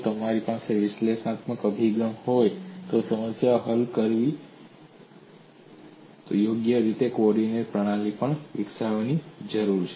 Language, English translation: Gujarati, So if I have to solve a problem by analytical approach, I need to develop suitable coordinate system as well